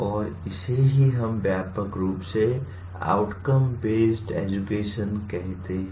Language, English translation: Hindi, And this is what we broadly call it as outcome based education